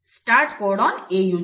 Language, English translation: Telugu, The start codon is AUG